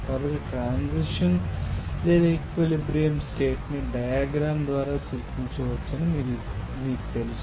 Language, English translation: Telugu, So, that you know that transition or equilibrium condition can be represented by you know diagram